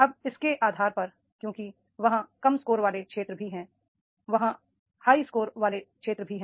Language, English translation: Hindi, Now on the basis of this because the low score areas are there, there are the high score areas are also there